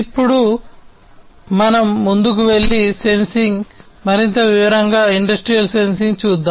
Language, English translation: Telugu, Now let us go ahead and look at sensing, in further detail, industrial sensing